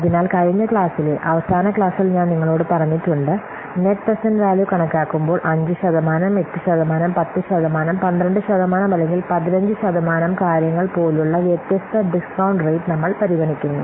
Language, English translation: Malayalam, So, in the last class I have already told you while calculating the net present value, we are considering different discount rates such as 5%, 8%, 10%, 12%, or 15%, things like that